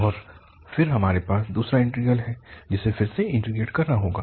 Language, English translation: Hindi, And then we have the second integral, which has to be integrated again